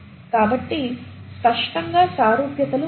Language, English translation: Telugu, So clearly there are similarities